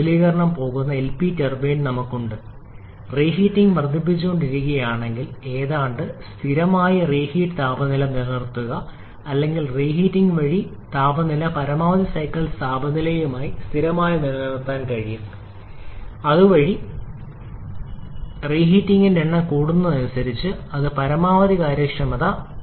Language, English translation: Malayalam, If we keep on increasing the number of reheating, of course we can almost maintain a near constant average reheat temperature or rather I should say the reheat temperature remains almost constant to the maximum cycle temperature, thereby I should say as the number of reheating increases it tries to approach the maximum possible efficiency